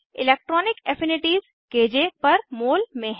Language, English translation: Hindi, Electronic affinities in KJ per mol